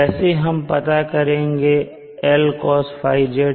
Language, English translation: Hindi, Now how do we estimate Lcos